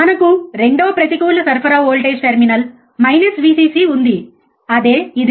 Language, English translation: Telugu, V plus then we have second negative supply voltage terminal minus Vcc which is this one